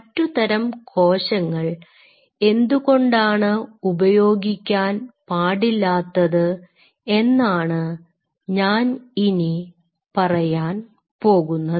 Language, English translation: Malayalam, And that is where I am going to come that why you cannot use the other cell type